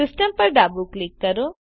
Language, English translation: Gujarati, Left Click System